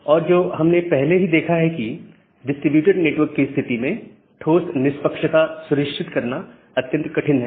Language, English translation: Hindi, And what we have seen earlier, that in case of a distributed network ensuring hard fairness is very difficult